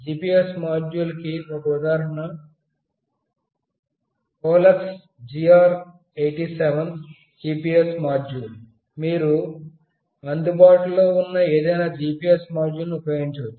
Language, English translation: Telugu, This is one example GPS module that is HOLUX GR 87 GPS module, you can use any other GPS module that is available